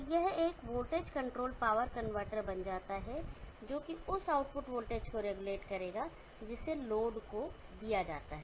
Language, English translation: Hindi, So this becomes a voltage controlled power convertor, which will regulate the output voltage that is given to load to the requirement